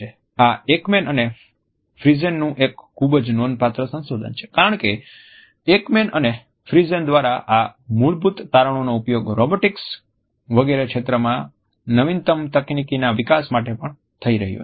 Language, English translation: Gujarati, This is a very significant research by Ekman and Friesen, because we find that the latest technological developments in the area of robotics etcetera are also using this basic finding by Ekman and Friesen